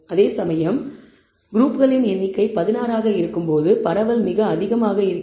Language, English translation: Tamil, Whereas, when the number of crews is 16 the spread is very high